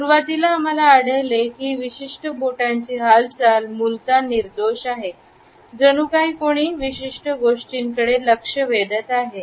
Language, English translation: Marathi, Initially, we find that the origin of this particular finger movement is innocuous, as if somebody is pointing at certain things in a distance